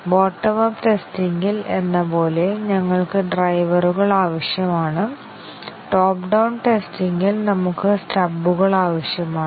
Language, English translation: Malayalam, Just like in the bottom up testing, we need drivers, in top down testing, we need stubs